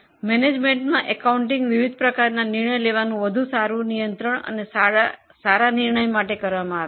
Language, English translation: Gujarati, In management accounting, variety of decision making is done for better control and for a good decision making